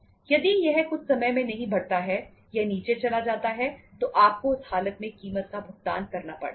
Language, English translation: Hindi, If it doesnít increase in the sometime it goes down so you have to pay the means that case you have to pay the price